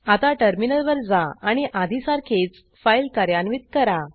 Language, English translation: Marathi, Now let us switch to the terminal and execute the file like before